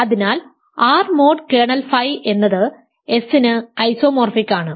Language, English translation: Malayalam, Then R mod kernel phi is isomorphic to S